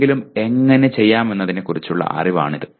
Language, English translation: Malayalam, Is the knowledge of how to do something